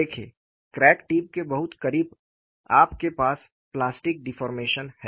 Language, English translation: Hindi, See, very close to the crack tip, you have plastic deformation